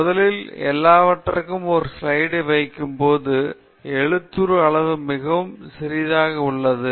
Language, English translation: Tamil, So, first of all, when you put everything on a slide, the size of the font becomes very small